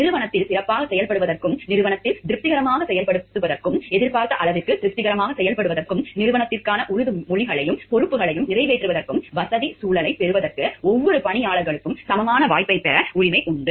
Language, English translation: Tamil, The every employee has the right to equal opportunity, to get the facilitatory environment to perform in a better way in the organization, to perform in a satisfactory way in the organization, to the expected level of satisfaction and keep their promises and their responsibilities towards the organization and to the public at large